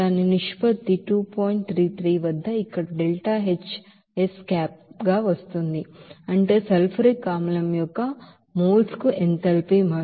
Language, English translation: Telugu, 33 it is coming here , that is per mole of sulfuric acid is enthalpy change